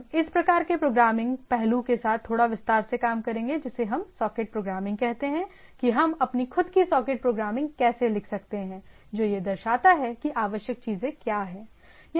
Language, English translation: Hindi, We will be dealing little detail with this type of programming aspect, what we say socket programming how we can write my own socket programming that how what are the things required